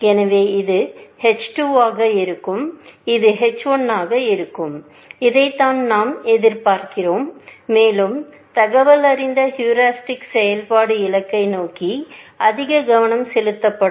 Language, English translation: Tamil, So, this would be h 2 and this would be h 1; this is what we expect, that the more informed heuristic function will be more focused towards the goal